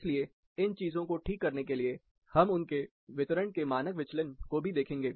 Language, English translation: Hindi, So, in order to correct these things, we will also look at the standard deviation of their distribution